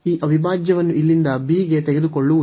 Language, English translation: Kannada, So, we have taken this integral a to b